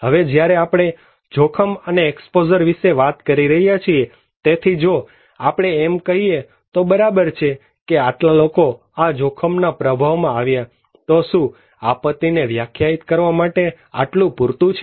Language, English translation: Gujarati, Now, when we are talking about hazard and exposure so, if we say that okay, this much of people are exposed to this disaster, is it enough to define a disaster